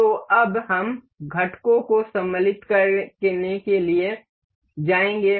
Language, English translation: Hindi, So, now, we will go to insert components